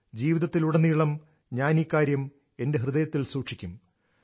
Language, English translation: Malayalam, I will cherish this lifelong in my heart